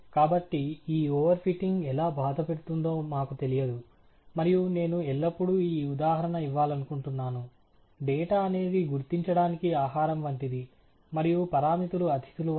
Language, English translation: Telugu, So, we do not know how this over fitting is going to hurt, and I always like to give this example, that data is the food for identification and parameters are guests